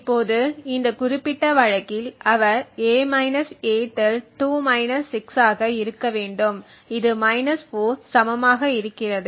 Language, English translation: Tamil, Now in this particular case he would have obtained a – a~ to be 2 – 6 to be equal to 4 right